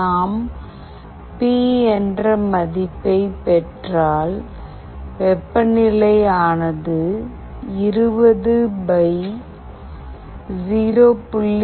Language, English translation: Tamil, If we receive the value P, then the temperature will be 20 / 0